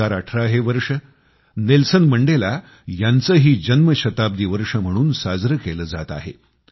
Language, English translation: Marathi, The year2018 is also being celebrated as Birth centenary of Nelson Mandela,also known as 'Madiba'